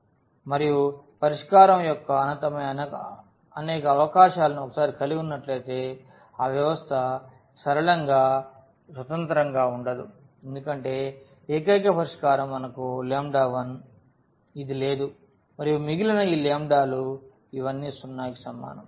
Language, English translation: Telugu, And once we have infinitely many possibilities of the solution that system cannot be linearly independent because we do not have on the unique solution which is lambda 1 all these lambdas to be equal to 0